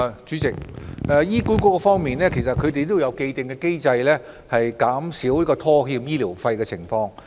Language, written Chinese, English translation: Cantonese, 主席，就醫管局而言，其實有既定機制，以減少拖欠醫療費用的情況。, President as far as HA is concerned it actually has an established mechanism to minimize default on payment of medical fees